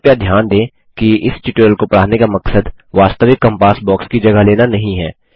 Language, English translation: Hindi, Please note that the intention to teach this tutorial is not to replace the actual compass box